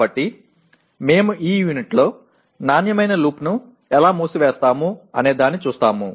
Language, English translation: Telugu, So we will be looking at in this unit how do we go around closing the quality loop